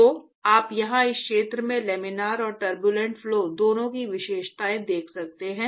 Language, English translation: Hindi, So, you can see features of both Laminar and Turbulent flow in this region here